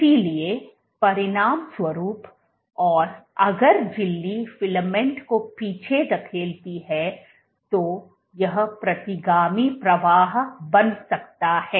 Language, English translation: Hindi, So, as a consequence, and what will happen if the membrane pushes the filament back; then this should lead to retrograde flow